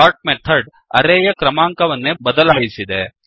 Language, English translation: Kannada, Note that the sort method has changed the array itself